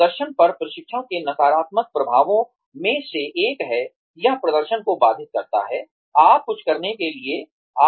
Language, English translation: Hindi, One of the negative impacts of, training on performance is that, it hampers performance